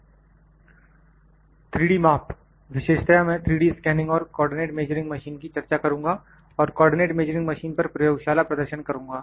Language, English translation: Hindi, 3D measurements, specifically I will discuss 3D scanning and co ordinate measuring machine will have a lab demonstration on the co ordinate measuring machine